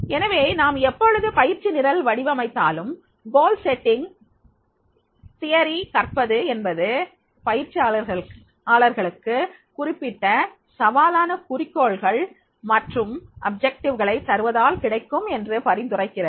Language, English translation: Tamil, So therefore, the always, whenever we design the training programs, goal setting theory suggests that learning can be facilitated by providing trainees with specific challenging goal and objectures